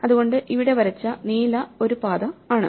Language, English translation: Malayalam, So, here is one path drawn in blue